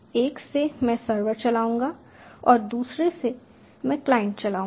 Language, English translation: Hindi, from one i will run the server, from another i will run the client